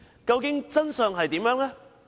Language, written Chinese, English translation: Cantonese, 究竟真相為何？, What is the truth?